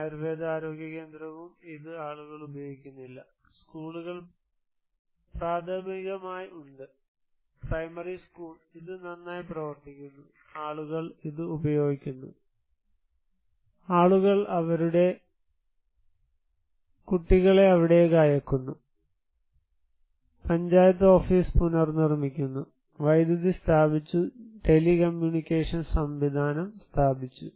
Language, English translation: Malayalam, Ayurvedic health centre also, this is not used by the people, the schools are there is primarily; primary school, this is working well, people are using it, people are sending their kids there, panchayat office is rebuilt, electricity installed, telecommunication system was installed